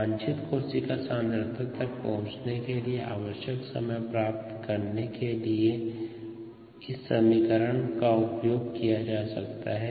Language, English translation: Hindi, this equation can be used to find the time needed to reach a desired cell concentration